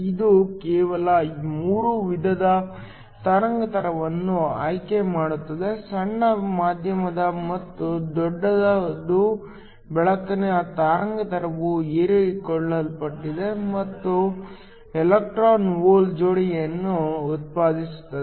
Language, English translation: Kannada, This just a picks 3 kinds of wavelength short, medium and large, when the wavelength of light gets absorbed it generates an electron hole pair